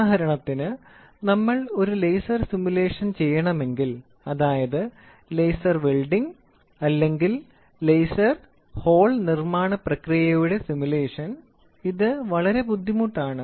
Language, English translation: Malayalam, So, for example, if we want to do a laser simulation, laser welding or laser hole making similar process simulation, it is extremely difficult